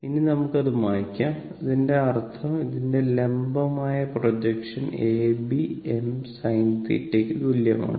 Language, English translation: Malayalam, Now, let me clear it; that means, my A B that is the vertical projection of this is equal to I m sin theta